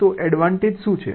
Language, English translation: Gujarati, so what is the advantage